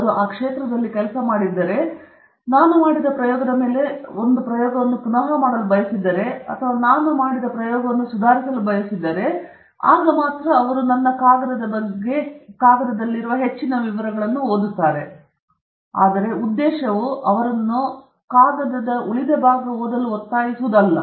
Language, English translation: Kannada, If they are also working in that area, if they want to do an experiment which is along the lines of what I have done or want to improve on an experiment that I have done, then they may read more details of it in the paper, but the purpose is not for me to somehow force them to read the rest of the paper